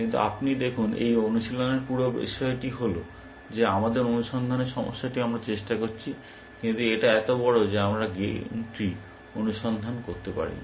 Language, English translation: Bengali, But you see, the whole point of this exercise, is that we are trying to our search problem is so huge, that we cannot search the game tree